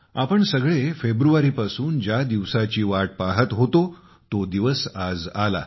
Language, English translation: Marathi, The day all of us had been waiting for since February has finally arrived